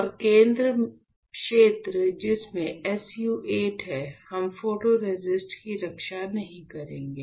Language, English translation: Hindi, And the center area which is having SU 8 we will not protect photoresist